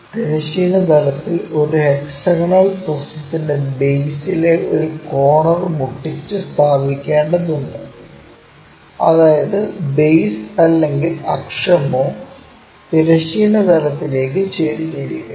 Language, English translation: Malayalam, A hexagonal prism has to be placed with a corner on base of the horizontal plane, such that base or axis is inclined to horizontal plane